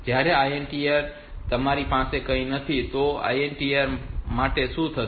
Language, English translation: Gujarati, Whereas, for INTR you do not have anything so for INTR what happened